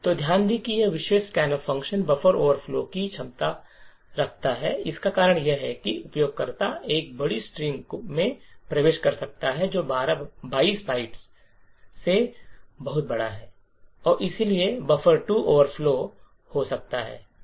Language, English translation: Hindi, So, note that this particular scanf function is a potential for a buffer overflow the reason is that the user could enter a large string which is much larger than 22 bytes and therefore buffer 2 can overflow